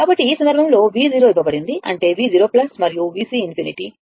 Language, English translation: Telugu, So, in this case, V 0 is given that is V 0 plus and V C infinity